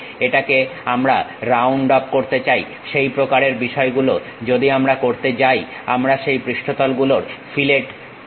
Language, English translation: Bengali, We want to round it off, such kind of thing if we are going to do we call fillet of that surfaces